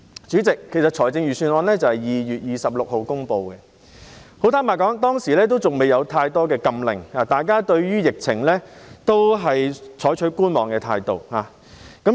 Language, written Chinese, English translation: Cantonese, 主席，預算案是在2月26日公布，坦白說，當時還未有很多禁令，大家對於疫情都採取觀望態度。, President the Budget was delivered on 26 February . Frankly speaking there were not too many prohibition orders back then and people took a wait - and - see attitude towards the epidemic